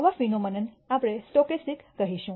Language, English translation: Gujarati, Such phenomena we will call it as stochastic